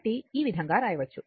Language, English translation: Telugu, So, this way you can write